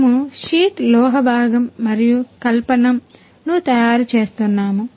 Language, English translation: Telugu, We are manufacturing sheet metal component and fabrication